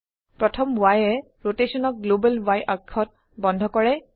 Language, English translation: Assamese, The first y locks the rotation to the global y axis